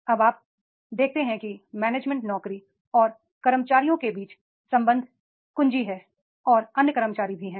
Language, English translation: Hindi, Now you see that is the there are the relationship keys between the management job and with the employees and the other employees are there